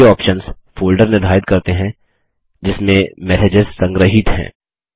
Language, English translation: Hindi, These options determine the folder in which the messages are archived